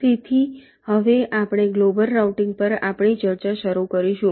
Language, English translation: Gujarati, shall now start our discussion on global routing